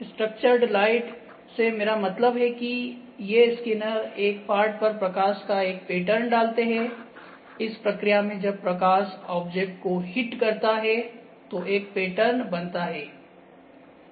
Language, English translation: Hindi, So, by structured light I means that these scanners project a pattern of light on to a part or a process when it is happening, and how the pattern is started, when the light hits the object